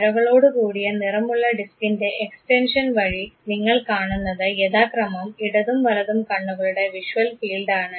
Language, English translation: Malayalam, The extension of the color disk that you see with dashes shows the visual field of left and right eyes respectively